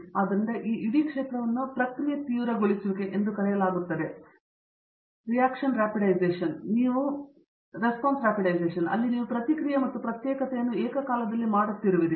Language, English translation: Kannada, So, this whole field is called Process intensification where you are doing reaction and separation simultaneously